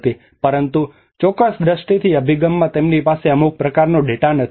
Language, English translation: Gujarati, But in certain perception approach they have lacking some kind of data